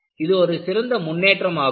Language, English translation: Tamil, So, that is an improvement